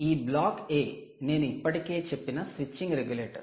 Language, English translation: Telugu, that block, indeed, is a switching regulator